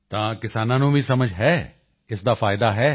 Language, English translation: Punjabi, So do farmers also understand that it has benefits